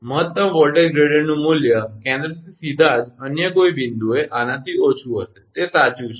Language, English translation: Gujarati, The value of the maximum voltage gradient, at any other point right away from the centre would be less than this, that is true right